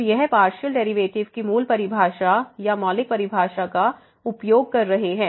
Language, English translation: Hindi, So, this was using the basic definition of or the fundamental definition of partial derivatives